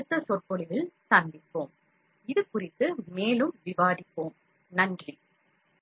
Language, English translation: Tamil, We will meet in the next lecture, we will discuss further about the course